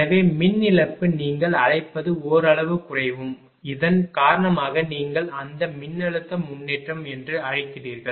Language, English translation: Tamil, So, power loss will what you call will decrease to some extent; because of this your what you call that ah voltage improvement